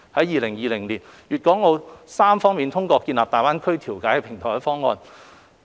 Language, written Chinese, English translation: Cantonese, 2020年，粵港澳三方通過設立大灣區調解平台的方案。, In 2020 Guangdong Hong Kong and Macao endorsed the proposal to set up a GBA Mediation Platform